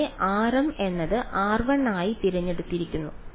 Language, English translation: Malayalam, Here r m is chosen to be r 1